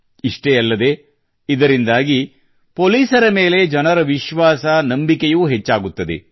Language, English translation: Kannada, Not just that, it will also increase public confidence in the police